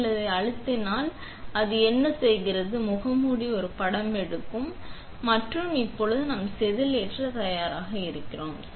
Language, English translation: Tamil, When you press that, what it does is it takes a picture of the mask and now we are ready to load the wafer